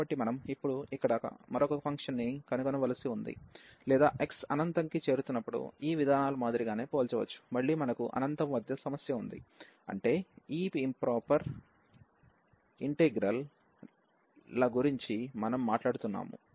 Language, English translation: Telugu, So, we have to here now actually find another function which we can relate or which is comparable to a similar to this as x approaches to infinity, again we have the problem at infinity only that is what we are talking about these improper integrals